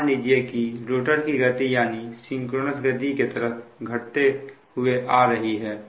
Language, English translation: Hindi, that means the rotor is running above synchronous speed